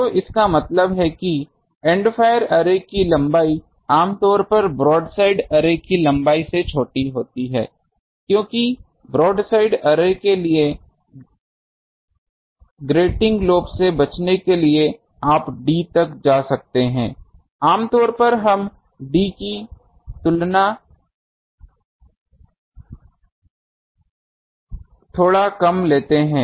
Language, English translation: Hindi, So that means, the length of the End fire array generally smaller than the length of the broadside array because for broadside array for avoiding grating lobe, you can go up to d, slightly less than d generally we take